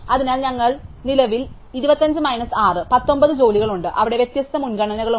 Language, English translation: Malayalam, So, we have 25 minus 6 19 jobs currently with different priorities in there